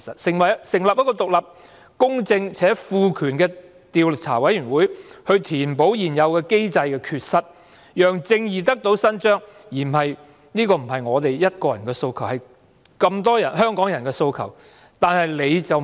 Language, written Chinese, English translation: Cantonese, 成立一個獨立、公正且賦權的調查委員會填補現有機制的缺失，讓正義得以伸張，不只是我一個人的訴求，而是眾多香港市民五大訴求的其中一項。, Establishing an independent impartial and empowered commission of inquiry to rectify defects of the existing mechanism and allow justice to be achieved is not just the demand of mine . It is one of the five demands of many Hong Kong citizens